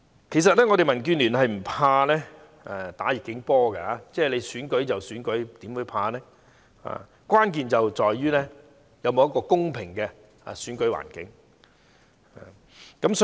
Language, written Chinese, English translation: Cantonese, 其實，民建聯並不怕打"逆境波"，不會害怕選舉，但關鍵在於是否有一個公平的選舉環境。, Actually DAB is not afraid of fighting uphill battles . We are not afraid of elections; what matters most is whether there is a fair election environment